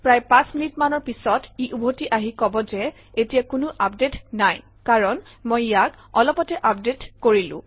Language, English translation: Assamese, After of about five minutes it comes back and says that there are currently no updates available because I just updated